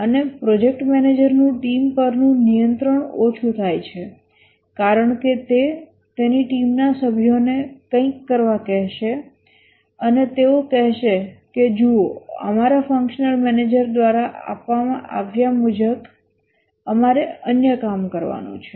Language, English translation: Gujarati, And also the project manager is control over the team decreases because he might ask his team members to do something and they might say that see we have other work to do as given by our functional manager